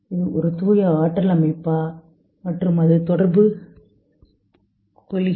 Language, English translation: Tamil, Is it a pure energy system when it is communicating